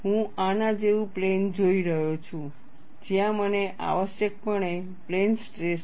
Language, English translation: Gujarati, I am looking at a plane like this, where I have essentially plane stress